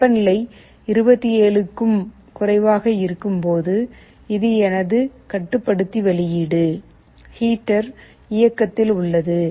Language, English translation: Tamil, When the temperature is less than 27, this is my controller output; the heater is on